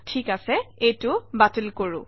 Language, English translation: Assamese, Alright, let me cancel this